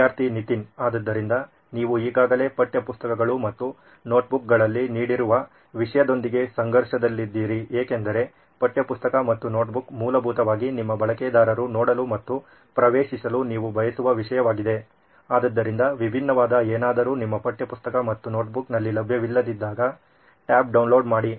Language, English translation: Kannada, So you said in conflict with the content that you are already giving in textbooks and notebooks because textbook and notebook is essentially the content that you want your users to see and access, so is there something that is different that is going in your download tab that is not available in textbook and notebook